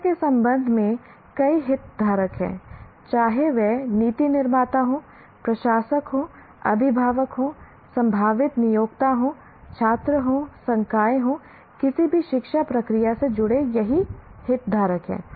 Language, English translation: Hindi, What happens is when you, there are a whole lot of stakeholders with regard to education, whether it is policymakers, administrators, parents, potential employers, students, faculty, for, these are all the stakeholders associated with any education process